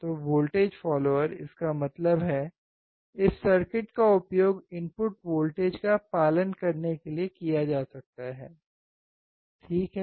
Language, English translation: Hindi, So, voltage follower; that means, this circuit can be used to follow the voltage which is about the input, right